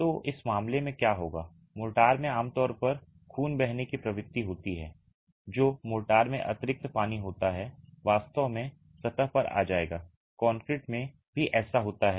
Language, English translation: Hindi, So, what would happen in this case is the motor typically has a tendency to bleed, that is excess water in the mortar would actually come to the surface